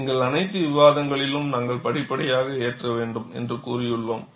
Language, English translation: Tamil, In all our discussions, we have said, we have to load it gradually